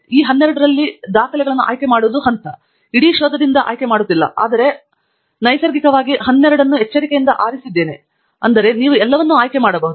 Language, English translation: Kannada, The step one is to select the records among these 12; we are not selecting from the whole of search but among these 12; so, naturally, you have carefully selected 12, so you can select all of them